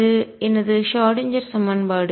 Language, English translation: Tamil, That is my Schrödinger equation